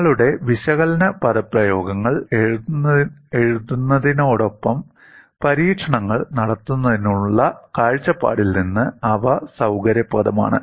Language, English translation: Malayalam, They are convenient from the point of view of writing out your analytical expressions as well as performing experiments